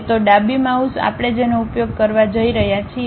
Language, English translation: Gujarati, So, the left mouse what we are going to use